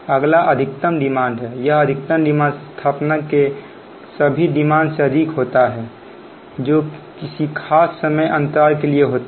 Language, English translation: Hindi, next, is maximum demand, this maximum demand of an installation or is the greatest of all demands which have occurred during the specified period of time